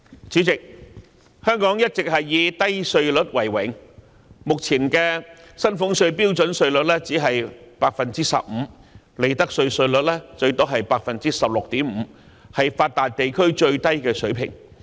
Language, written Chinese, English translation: Cantonese, 主席，香港一直以低稅率為榮，目前的薪俸稅標準稅率只是 15%， 利得稅稅率最多是 16.5%， 是發達地區中最低的水平。, President Hong Kong has all along taken pride in its low tax rates . At present the standard rate of the salaries tax merely stands at 15 % and the profits tax rate is capped at 16.5 % the lowest level among advanced regions